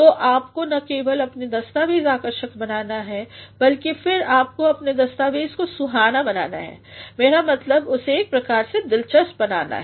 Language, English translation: Hindi, So, you have to make not only your document attractive, but then you also have to make your document salubrious; I mean it has to be interesting in a way